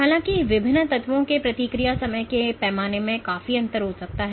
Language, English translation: Hindi, However, the time scale the response timescales of different elements can vastly differ